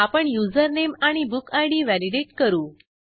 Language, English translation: Marathi, We validate the username and book id